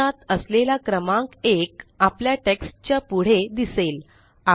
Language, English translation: Marathi, So the number one in parentheses has appeared next to our text